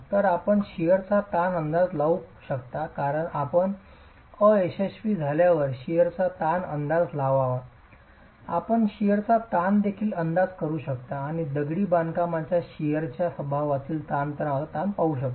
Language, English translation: Marathi, So you can estimate the shear strain, because you are estimating the shear stress at failure, you can also estimate the shear strain and look at the stress strain in sheer behavior of the masonry itself